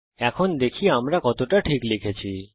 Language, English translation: Bengali, Lets check how accurately we have typed